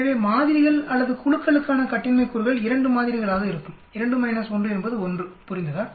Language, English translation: Tamil, So, the degrees of freedom for samples or groups will be 2 samples, 2 minus 1 is 1, understood